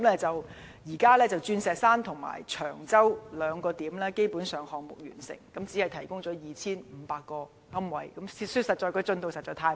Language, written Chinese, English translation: Cantonese, 至今，鑽石山及長洲兩個地點的項目基本上已經完成，但只提供 2,500 個龕位，坦白說，進度實在太慢。, So far the projects in Diamond Hill and Cheung Chau have basically been completed but they only provide 2 500 niches . To be honest the progress is just too slow